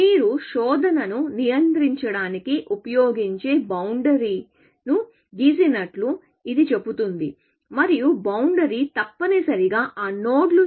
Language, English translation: Telugu, It says that you draw a boundary, which you use for controlling a search, and the boundary is essentially, those nodes